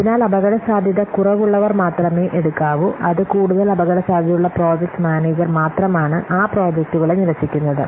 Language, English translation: Malayalam, So, only those which are less risky they may take, which are more risky the project manager just simply what rejects those projects